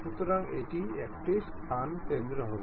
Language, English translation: Bengali, So, that it will be place center